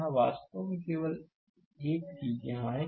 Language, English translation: Hindi, Here, actually only one thing is here